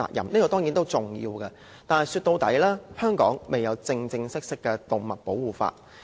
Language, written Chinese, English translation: Cantonese, 這當然重要，但是說到底香港未有正式的動物保護法。, Important though it is after all Hong Kong has yet to have formal legislation on animal protection